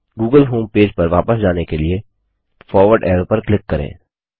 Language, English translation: Hindi, Click on the forward arrow to go back to the google homepage